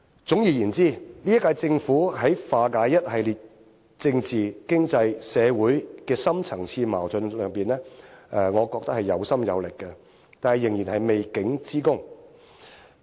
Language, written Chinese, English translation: Cantonese, 總而言之，這一屆政府在化解一系列政治、經濟、社會的深層次矛盾上面，我覺得是有心有力的，但仍然有未竟之功。, In a nutshell the current Government has the heart and strength to resolve a series of deep - rooted problems concerning politics economy and the community . That said the mission is still not accomplished yet